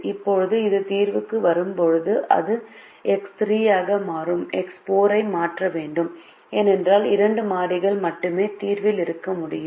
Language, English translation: Tamil, now, when this comes into the solution, it has to replace x three and x four, because only two variables can be in the solution